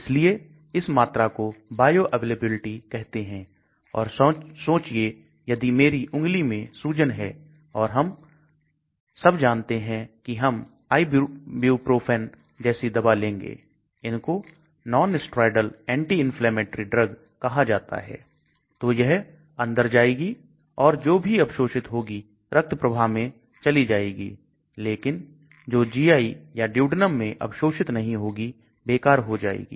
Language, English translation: Hindi, So this ratio is also called bioavailability, and so imagine I have a swelling in my finger and we all know we take drugs like ibuprofen, they are called nonsteroidal anti inflammatory drug so it comes in whatever gets absorbed, goes into the blood stream, but whatever does not get absorbed into the GI and duodenum is wasted